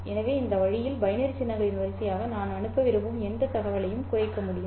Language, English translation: Tamil, So, in this way I can reduce any information that I want to transmit into a sequence of binary symbols